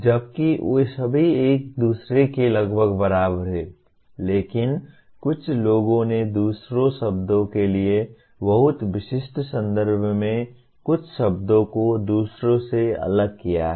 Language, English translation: Hindi, While all of them are approximately equal to each other, but some people have differentiated some words from the others to in a very very specific context for want of other word